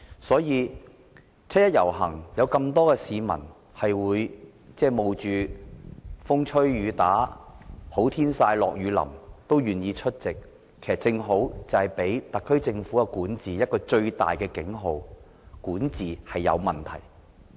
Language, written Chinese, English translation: Cantonese, 所以，有那麼多市民冒着風吹雨打、"好天曬、下雨淋"也願意參與七一遊行，正是給予特區政府一個最大的警號，就是管治出現問題。, Thus the fact that many members of the public are willing to brave the wind and rain or the scorching sun to join the 1 July march sends out a serious warning to the SAR Government that there are problems in its administration